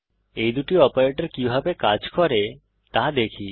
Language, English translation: Bengali, Lets see how these two operators work